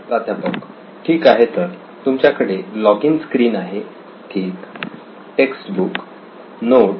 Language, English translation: Marathi, Okay, so you have login screen, okay textbook notes